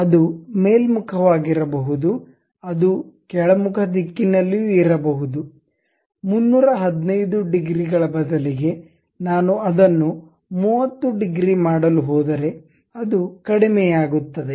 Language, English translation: Kannada, It can be upward direction, it will be downward direction also; instead of 315 degrees, if I am going to make it 30 degrees, it goes down